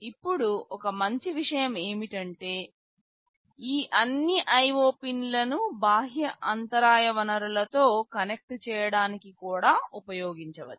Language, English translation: Telugu, Now, one good thing is that all these IO pins can also be used to connect with external interrupt sources